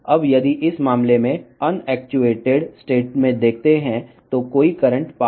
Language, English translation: Telugu, Now, if you see in this case in unactuated state there is no current pass